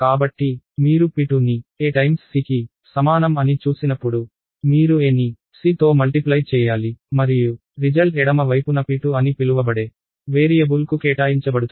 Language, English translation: Telugu, So, when you see p2 equals a into c, you multiply a with c and the result is assigned to the variable on the left side called p2